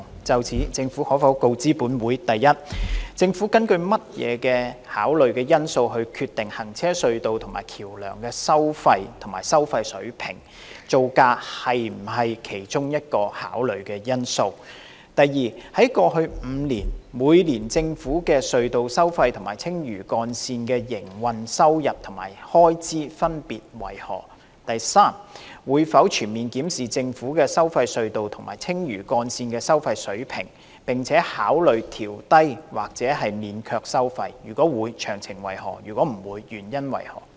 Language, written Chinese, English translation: Cantonese, 就此，政府可否告知本會：一政府根據甚麼考慮因素決定行車隧道及橋樑是否收費及收費水平；造價是否考慮因素之一；二過去5年，每年政府的收費隧道及青嶼幹線的營運收入及開支分別為何；及三會否全面檢視政府的收費隧道及青嶼幹線的收費水平，並考慮調低或免卻收費；如會，詳情為何；如否，原因為何？, In this connection will the Government inform this Council 1 of the considerations based on which the Government determines whether and at what levels road tunnels and bridges should be tolled; whether construction cost is one of the considerations; 2 of the operating revenues and expenditures respectively of the government tolled tunnels and the Lantau Link in each of the past five years; and 3 whether it will comprehensively review the toll levels of the government tolled tunnels and the Lantau Link and consider adjusting downward or dispensing with the tolls; if so of the details; if not the reasons for that?